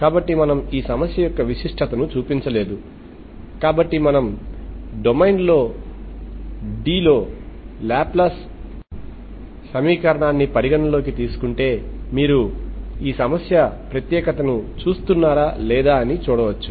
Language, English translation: Telugu, So we have not shown the uniqueness of this problem, so we can see that, see if just looking at the uniqueness, if you consider Laplace equation in domain D, okay